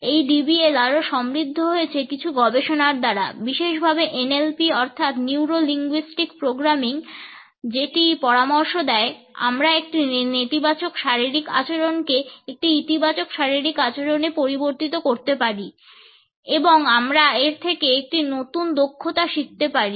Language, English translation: Bengali, This aspect of DBL has further been enriched by certain other researches, particularly in the area of NLP or Neuro Linguistic Programming which suggest that we can shift from a negative body behaviour to a positive one and we can learn it as a new skill